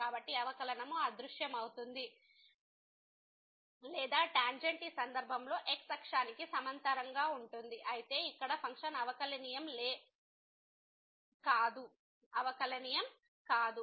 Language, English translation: Telugu, So, the derivative vanishes or the tangent is parallel to the x axis in this case though the function was not differentiable here